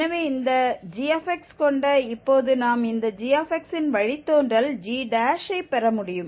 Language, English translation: Tamil, So, having this g x now we can get the g prime, the derivative of this g x